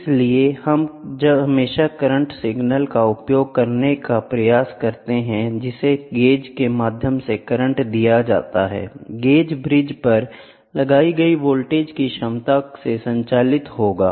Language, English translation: Hindi, So, we always try to use the current signal is given the current through the gauge; gauge will be driven by voltage potential across the bridge, ok